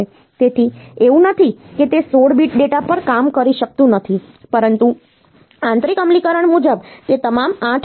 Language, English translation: Gujarati, So, it is not that it cannot operate on 16 bit data, but internal implementation wise it is all 8 bit